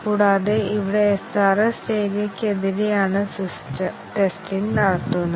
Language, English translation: Malayalam, And, here the testing is done against, the SRS document